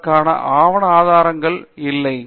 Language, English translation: Tamil, There is no documentary evidence for that